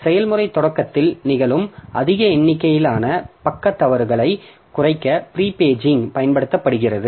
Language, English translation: Tamil, So, prepaging is used to reduce the large number of page fault that occurs at process start up